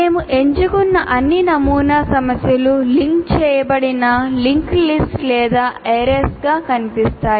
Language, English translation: Telugu, All sample problems that we have chosen appear to be a linked list or arrays